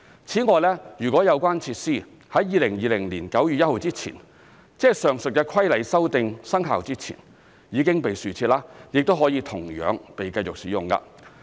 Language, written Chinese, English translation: Cantonese, 此外，如有關設施在2020年9月1日前——即上述的規例修訂生效前——已被豎設，亦可同樣被繼續使用。, Besides such amenity features if erected before 1 September 2020 ie . the commencement date of the amended Building Minor Works Regulation would likewise be tolerated